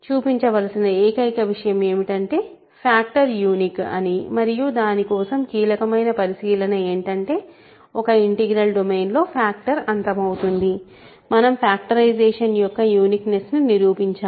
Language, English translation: Telugu, Only thing to show is that factoring is unique and for that the crucial observation is in an integral domain where factoring terminates to prove uniqueness of the factorization